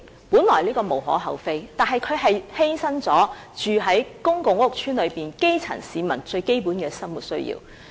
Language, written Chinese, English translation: Cantonese, 本來這是無可厚非的，但它卻犧牲了居住於公共屋邨的基層市民的最基本生活需要。, This is actually no cause for complaint but the basic needs of the grass roots in public housing estates are sacrificed